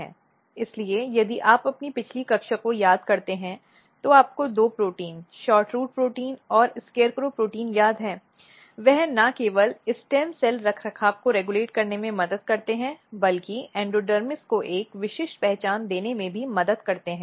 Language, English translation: Hindi, So, if you recall your previous class you remember that these two proteins are very important SHORTROOT protein and SCARECROW protein, they help in regulating not only stem cell maintenance, but they also help in giving a specific identity to endodermis